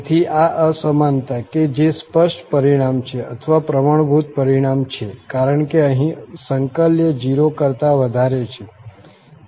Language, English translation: Gujarati, So, having this inequality which is an obvious result or the standard result because of the integrand here greater than equal to 0